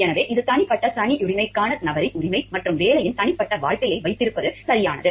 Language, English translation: Tamil, So, which is the right of the person for a personal privacy and it is right to have a private life of the job